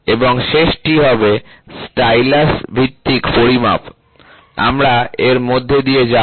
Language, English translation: Bengali, And the last one will be stylus based measurement, we will go through it